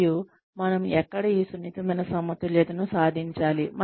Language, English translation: Telugu, Where do we, and we have to achieve this delicate balance